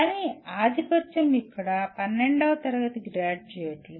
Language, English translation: Telugu, But dominantly it is the graduates of 12th standard who come here